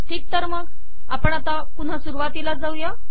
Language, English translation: Marathi, Alright, lets come back to the beginning